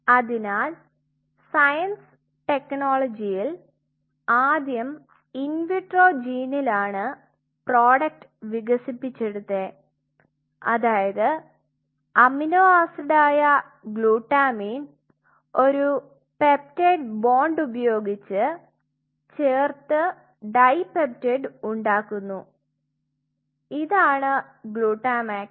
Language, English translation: Malayalam, So, what at some one point like science technology is what you know of initially it was in vitro gene they developed a product where 2 glutamine it is an amino acids you coupled 2 glutamine using a peptide bond you make a dipeptide and that is called glutamax